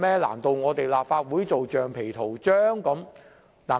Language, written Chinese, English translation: Cantonese, 難道立法會要做橡皮圖章？, Should the Legislative Council be reduced to a rubber stamp?